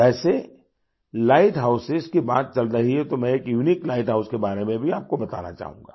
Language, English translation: Hindi, By the way, as we are talking of light houses I would also like to tell you about a unique light house